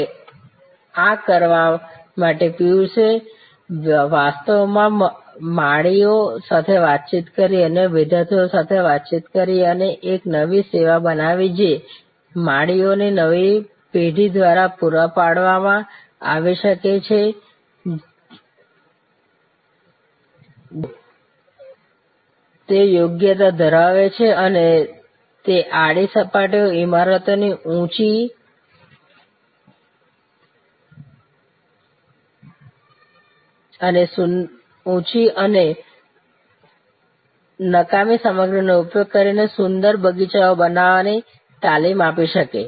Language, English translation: Gujarati, Now, to do this Piyush actually interacted with gardeners, interacted with other students and created a new service which can be provided by a new generation of gardeners who will have that competency and that training to create an horizontal surfaces, tall horizontal surfaces of buildings, beautiful gardens using almost waste material